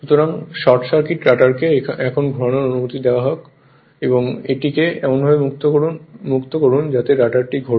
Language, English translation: Bengali, So, let the short circuit rotor be now permitted to rotate now you now you make it to free such that rotor will rotate